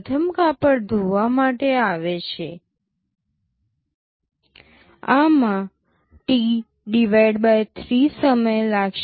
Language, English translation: Gujarati, The first cloth comes for washing, this will be taking T/3 time